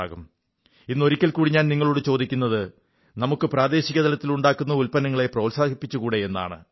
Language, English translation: Malayalam, Today once again I suggest, can we promote locally made products